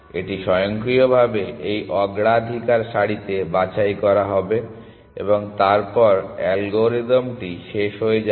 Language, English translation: Bengali, It will automatically get picked in this priority queue and then the algorithm will terminate